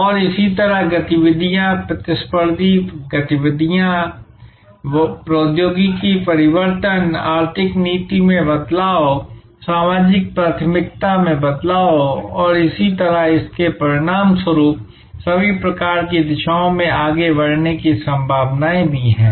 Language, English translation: Hindi, And similarly, there are activities, competitive activities, technology changes, economic policy changes, social preference changes and so on, as a result of which this also has possibilities of moving in all kinds of directions